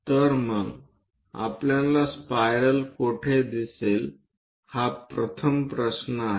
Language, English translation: Marathi, So, where do we see the first question spiral